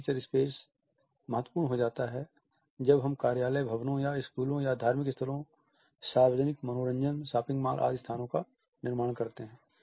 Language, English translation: Hindi, And the fixed feature space is significant in the way we construct office buildings or a schools or the shopping malls the religious places, places of public entertainment etcetera